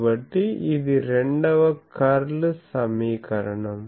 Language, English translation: Telugu, So, this is my Second Curl equation